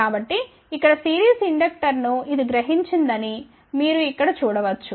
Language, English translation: Telugu, So, you can see here that this one here realizes the series inductor